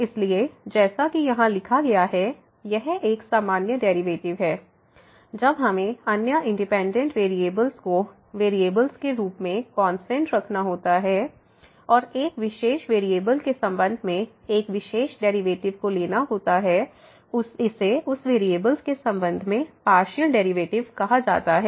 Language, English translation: Hindi, So, as written here it is a usual derivative, when we have to keep other independent variable as variables as constant and taking the derivative of one particular with respect to one particular variable and this is called the partial derivative with respect to that variable